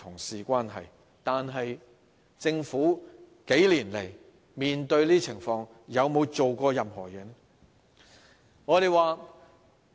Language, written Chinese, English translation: Cantonese, 數年來面對這些情況，政府有沒有做過任何事情？, Over the past few years in the face of these circumstances has the Government done anything about them?